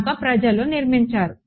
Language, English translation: Telugu, So people have built